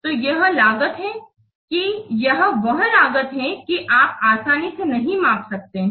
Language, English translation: Hindi, You cannot easily measure these costs